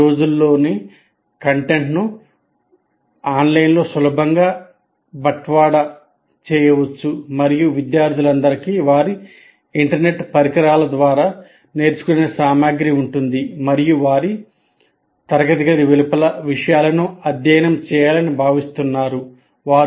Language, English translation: Telugu, The content these days can easily be delivered online and all students have access to their devices to get connected to online and they are expected to study the material outside the classroom